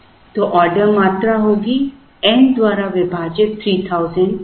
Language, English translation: Hindi, The order quantity will be 3000 divided by n